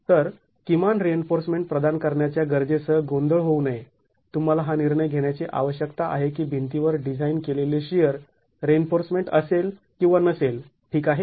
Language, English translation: Marathi, So, not to be confused with the need to provide the minimum reinforcement, you need to take this decision of whether or not the wall will have designed shear reinforcement